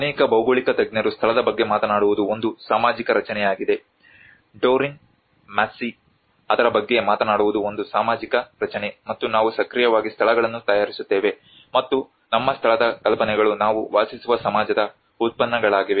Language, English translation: Kannada, So many geographers talk about place is a social construct, Doreen Massey talks about it is a social construct, and we actively make places and our ideas of place are products of the society in which we live